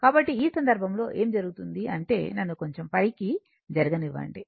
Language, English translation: Telugu, So, in this case, what is happening that just let me move little bit up